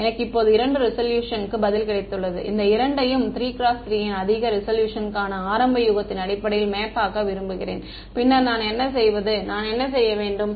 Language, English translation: Tamil, I have got two resolution answer, now I want to map these two as an initial guess for a higher resolution its a 3 cross 3, then what do I do I have to